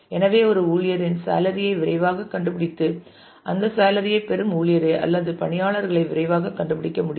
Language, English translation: Tamil, So, that we can quickly find the salary of and given the salary of an employee we can quickly find the employee or the employees who get that salary